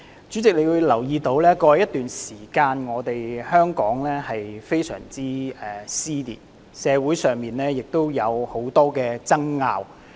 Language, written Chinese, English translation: Cantonese, 主席，你也會留意到，在過去一段時間，香港社會出現嚴重撕裂，以及有很多爭拗。, President you may have noted that Hong Kong society has been plagued by serious dissension and incessant disputes for some time now